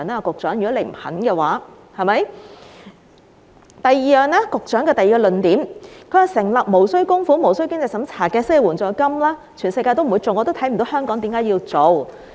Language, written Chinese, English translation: Cantonese, 局長的第二個論點是，成立無須供款無須經濟審查的失業援助金，全世界不會做，他亦看不到為甚麼香港要做。, The Secretarys second point is that no other places in the world will introduce any non - contributory and non - means - tested unemployment assistance and he does not see why Hong Kong needs to do it